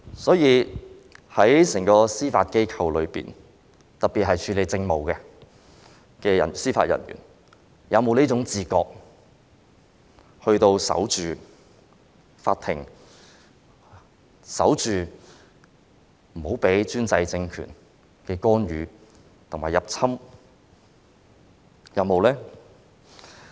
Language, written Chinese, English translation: Cantonese, 所以，整個司法機構中，特別是處理政務的人員，他們是否有這種要守着法庭的自覺，使法庭不受專制政權干預和入侵呢？, So among the staff of the Judiciary particularly those handling its administration do they have the awareness to defend the Court against the interference and intrusion of the autocratic regime?